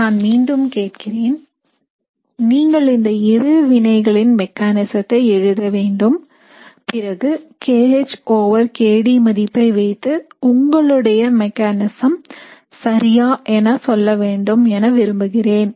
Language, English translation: Tamil, So I repeat the question, I want you to write the mechanism for both these reactions and then based on the kH over kD value, you need to tell me whether the mechanism is correct